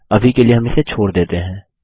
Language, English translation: Hindi, We will skip this for now